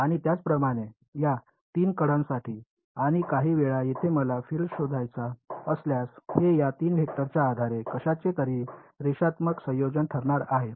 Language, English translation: Marathi, And similarly for these 3 edges and at some point over here if I want to find out the field, it is going to be a linear combination of something based on these 3 vectors